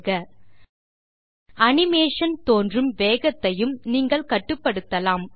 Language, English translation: Tamil, You can also control the speed at which your animation appears